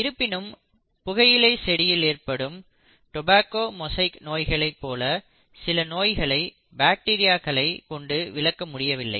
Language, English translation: Tamil, But then there were a few diseases which could not be explained by bacteria, especially the tobacco mosaic disease in tobacco plants